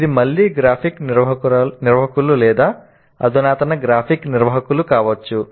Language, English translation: Telugu, It can be again graphic organizers or advanced graphic organizers